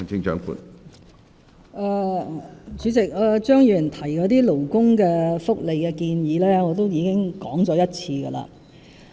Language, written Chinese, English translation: Cantonese, 主席，張宇人議員提到那些勞工福利的措施，我已經說了一遍。, President I have already spoken on the initiatives of labour welfare mentioned by Mr Tommy CHEUNG